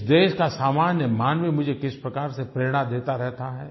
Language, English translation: Hindi, How the common man of this country keeps on inspring me all the time